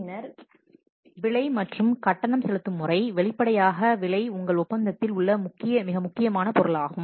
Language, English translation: Tamil, Then the price and payment method, obviously the price is the most important item in a contract